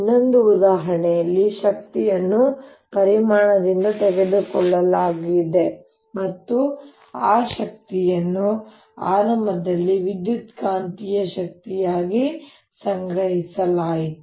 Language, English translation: Kannada, in the other example, the energy was taken away from a volume and that energy initially was stored as electromagnetic energy